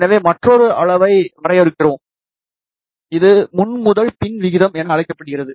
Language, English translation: Tamil, So, we define another quantity, which is known as front to back ratio